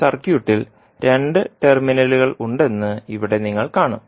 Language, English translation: Malayalam, So here you will see that circuit is having two terminals